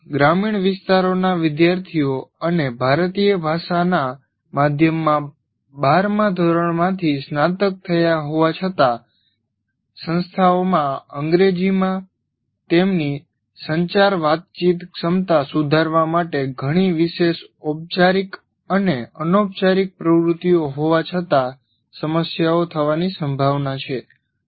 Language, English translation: Gujarati, Further, students from rural areas and graduating from 12 standard in Indian language medium are likely to have issues in spite of the institutions having several special formal and informal activities to improve their communication abilities in English